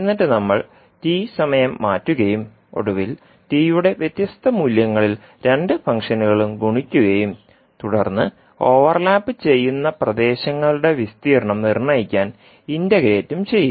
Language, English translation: Malayalam, And then we will shift by t and finally for different value for t we will now multiply the two functions and then integrate to determine the area of overlapping reasons